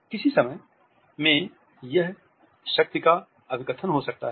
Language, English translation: Hindi, At the same time it can be an assertion of power